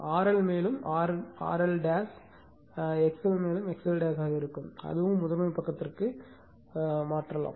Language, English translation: Tamil, R L also you can make R L dash X L will be X L dash that also can be transferred to the primary side, right